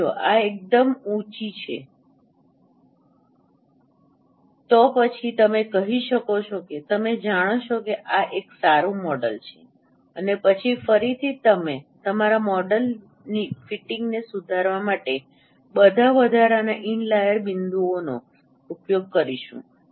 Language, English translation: Gujarati, Now if this number is quite high then you can say that no this is a good model and then again no use all those additional in layer points to refine the fitting of your model